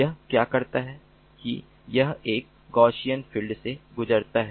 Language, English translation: Hindi, what it does is it passes through a gaussian filter